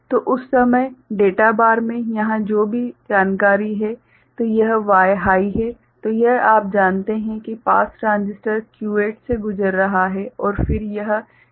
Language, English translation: Hindi, So, at that time whatever information is there here in the data bar so, this Y is high; so, this is you know getting passed by the pass transistor Q8 right and then this is a CMOS inverter